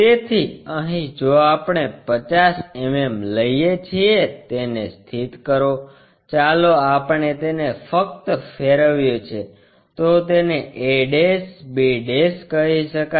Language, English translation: Gujarati, So, here if we are going 50 mm, locate it, let us call a' b' still we just rotated it